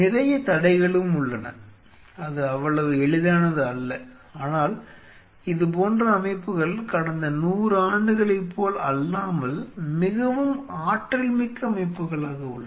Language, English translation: Tamil, There are some any blockages also it is not so easy, but such systems are unlike last 100 years these are more dynamic system